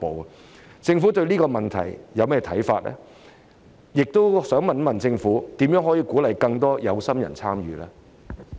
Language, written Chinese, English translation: Cantonese, 我想問政府對這個問題有何看法，以及如何可以鼓勵更多有心人參與呢？, I wish to ask the Governments view on this issue and how it can encourage more aspirants to participate